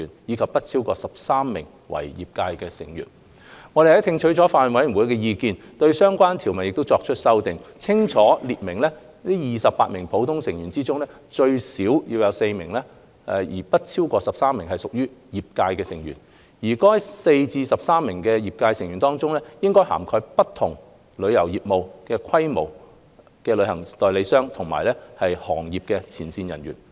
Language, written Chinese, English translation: Cantonese, 我們聽取了法案委員會的意見，對相關條文作出了修訂，清楚列明28名普通成員中，最少有4名但不超過13名屬業界成員，而在該4至13名業界成員中，應涵蓋不同旅遊業務和規模的旅行代理商及行業前線人員。, After listening to the views of the Bills Committee we have proposed to amend the relevant clause by specifying that among the 28 ordinary members at least 4 but not more than 13 should be trade members representing travel agents in different travel businesses and of different sizes as well as frontline practitioners